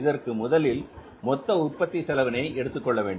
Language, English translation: Tamil, So what is the total cost of production now